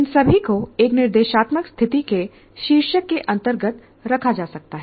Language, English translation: Hindi, That's why you can put all this under the category under the heading of instructional situation